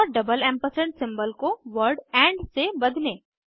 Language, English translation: Hindi, And replace the double ampersand symbol with the word and